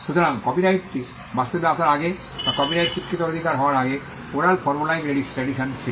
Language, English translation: Bengali, So, before copyright actually came into existence or before copyright became a recognizable right, there was the oral formulaic tradition